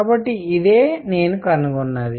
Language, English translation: Telugu, So, this is what I figured out